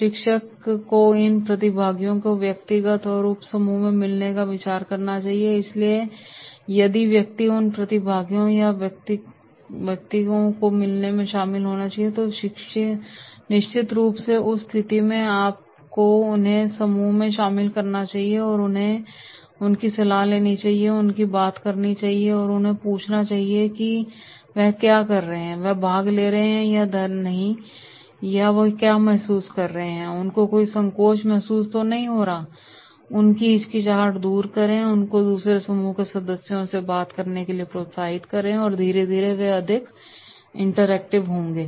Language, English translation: Hindi, Trainer should consider the possibility of meeting these participants as individuals or in a subgroup, so if the person is involved in meeting these participants or individuals then definitely in that case you have to involve them in the group, and counsel them, talk to them and asking them whatever they are doing, they are not participating, they are feeling shy or hesitant, do not feel shy, do not feel hesitant, talk to the other group members and slowly and slowly they will be more interactive